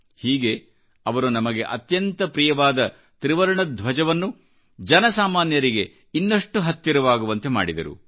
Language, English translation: Kannada, Thus, he brought our beloved tricolor closer to the commonman